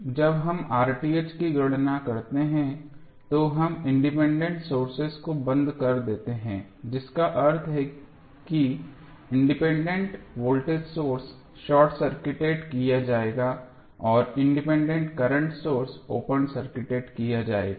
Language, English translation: Hindi, So, when we calculate R Th we make the independence sources turned off that means that voltage source independent voltage source would be short circuited and independent current source will be open circuited